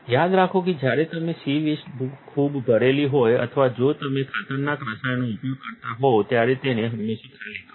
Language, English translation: Gujarati, Remember to always empty the C waste when you when it is a lot full or if you use dangerous chemicals